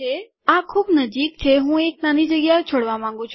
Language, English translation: Gujarati, This is too close I want to leave a small space